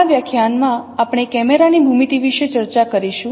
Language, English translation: Gujarati, In this lecture we will discuss about camera geometry